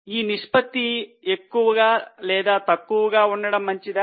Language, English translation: Telugu, Is it good to have higher or lower ratio